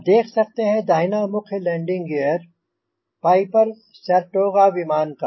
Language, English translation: Hindi, you can see the right main landing gear of piper saratoga aircraft